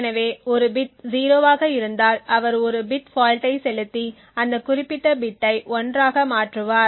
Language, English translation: Tamil, So that means if the bit of a is 0 then he would inject a bit fault and change that particular bit to 1